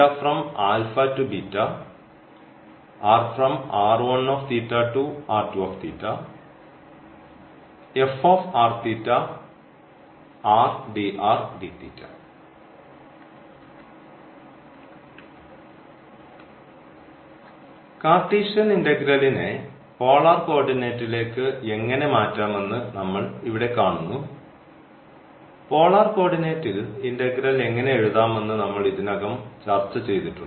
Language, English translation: Malayalam, Well, so now we will see here that how to change the Cartesian integral to polar coordinate, though we have already discuss that that how to write the integral in the polar coordinate